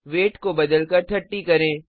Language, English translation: Hindi, Change weight to 30